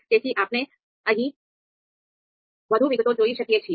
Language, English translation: Gujarati, So so you can look at more details here